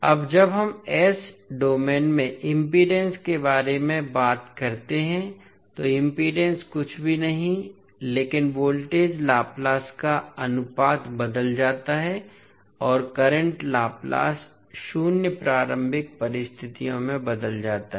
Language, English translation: Hindi, Now, when we talk about the impedance in s domain so impedance would be nothing but the ratio of voltage Laplace transform and current Laplace transform under zero initial conditions